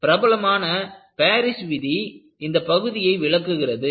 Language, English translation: Tamil, And, this is known as a famous Paris law, which controls the segment